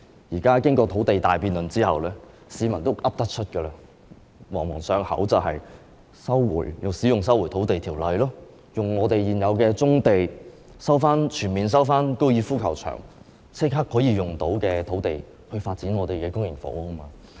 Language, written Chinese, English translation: Cantonese, 現在經過土地大辯論之後，市民也懂得說了，已經朗朗上口，也就是引用《收回土地條例》、使用現有棕地，以及全面收回高爾夫球場，以立刻可以使用的土地來發展公營房屋。, After the big debate on land supply members of the public already know what to say and they can tell eloquently that the Government should invoke the Lands Resumption Ordinance utilize the existing brownfield sites and resume the entire Fanling Golf Course using sites that can be made available immediately for developing public housing